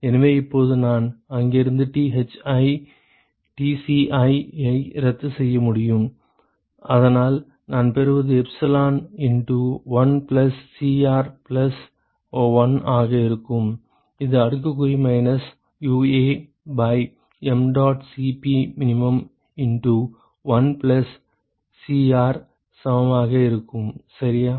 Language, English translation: Tamil, So, now, I can cancel out Thi, Tci from here and so what I get is will be minus epsilon into 1 plus Cr plus 1 that should be equal to exponential of minus UA by mdot Cp min into 1 plus Cr, ok